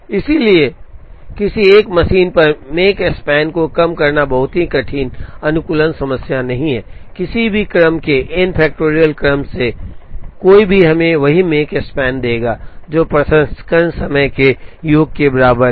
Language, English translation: Hindi, So, minimizing Makespan on a single machine is not a very difficult optimization problem, any order any one of the n factorial sequences will give us the same Makespan, which is equal to sum of the processing times